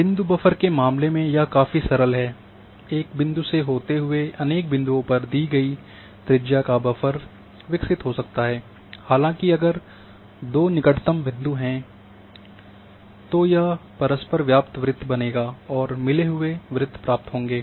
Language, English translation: Hindi, In case of point buffers it is simpler, just a the point all along a points a buffer is generated of a given radius, however if there are two clothes points then overlapping circle will be created and a merged circles will be there